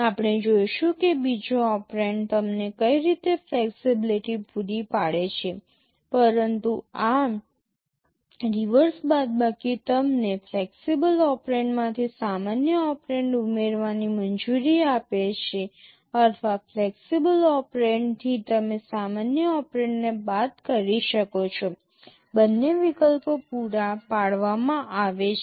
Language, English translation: Gujarati, We shall be seeing what kind of flexibility the second operand provides you, but this reverse subtract allows you to add a normal operand from a flexible operand, or from a flexible operand you can subtract a normal operand, both options are provided